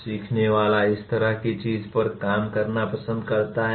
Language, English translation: Hindi, The learner likes to work on such a thing